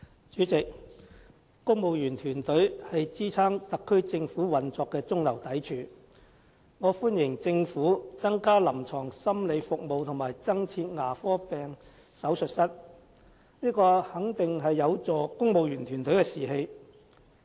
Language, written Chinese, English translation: Cantonese, 主席，公務員團隊是支撐特區政府運作的中流砥柱，我歡迎政府增加臨床心理服務和增設牙科病手術室，這肯定有助提升公務員團隊的士氣。, President the civil service team is the mainstay in supporting the operation of the SAR Government . I welcome the Governments initiative to enhance clinical psychology service and add dental surgeries for civil servants . This will certainly help boost the morale of the civil service team